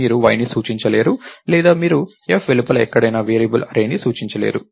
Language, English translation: Telugu, You can't refer to y or you can't refer to array, the variable array anywhere outside f